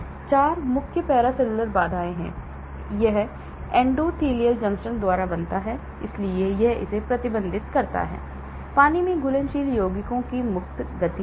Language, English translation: Hindi, 4 main paracellular barrier; this is formed by endothelial junctions, so it restricts the free movement of water soluble compounds